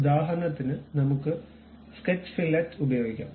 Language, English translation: Malayalam, For example, let us use Sketch Fillet